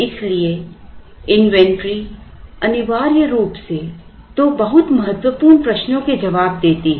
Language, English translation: Hindi, So, inventory essentially answers two very important questions